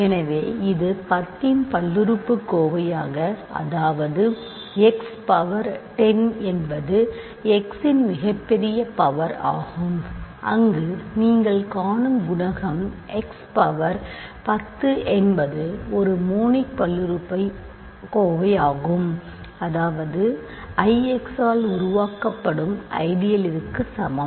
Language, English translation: Tamil, So, if it is a polynomial of degree 10; that means, x power 10 is the largest power of x that you see there the coefficient x power 10 is 1 there exists a monic polynomial f x such that, I is equal to the ideal generated by f x